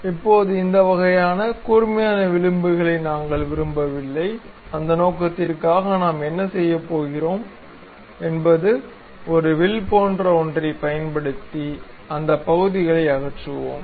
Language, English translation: Tamil, Now, we do not want this kind of sharp edges; for that purpose what we are going to do is, we use something like a arc and remove those portions